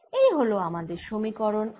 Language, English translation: Bengali, that is one equation i have